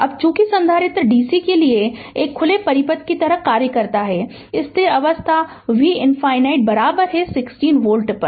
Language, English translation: Hindi, Now, since the capacitor acts like an open circuit to dc, at the steady state V infinity is equal to 60 volt